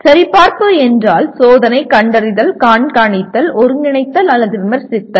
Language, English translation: Tamil, Checking means testing, detecting, monitoring, coordinating or critiquing